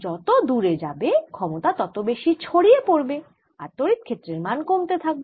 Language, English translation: Bengali, further away you go, the power splits over a larger area and therefore electric field is going to go down